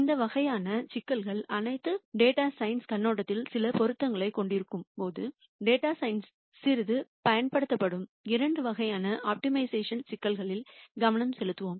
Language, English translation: Tamil, While all of these types of problems have some relevance from a data science perspective, we will focus on two types of opti mization problems which are used quite a bit in data science